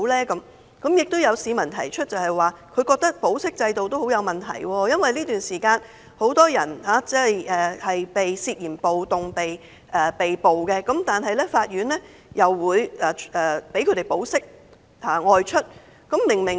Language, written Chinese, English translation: Cantonese, 此外，有市民認為保釋制度也很有問題，因為這段時間有很多人涉嫌暴動被捕，但法庭會批准他們保釋外出。, Moreover some people think that there are problems with the bail system for during this period many people arrested for the charge of suspected riot are granted bail by the Court